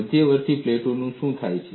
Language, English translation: Gujarati, What happens in intermediate plates